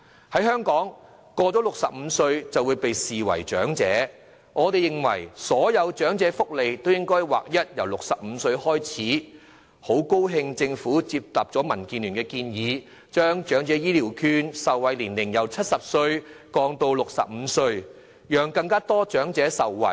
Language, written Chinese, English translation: Cantonese, 在香港，超過65歲便會被視為長者，我們認為所有長者福利應劃一由65歲開始，也很高興政府接納民主建港協進聯盟的建議，將長者醫療券的受惠年齡由70歲降至65歲，讓更多長者受惠。, In Hong Kong anyone who is over the age of 65 is regarded as an elderly person and we consider it necessary to adopt a standardized practice to grant all sorts of elderly welfare to everyone aged 65 or above . We are very happy to note that the Government has accepted the proposal of the Democratic Alliance for the Betterment and Progress of Hong Kong DAB to lower the eligibility age for the Elderly Health Care Voucher from 70 to 65 so as to benefit more elderly persons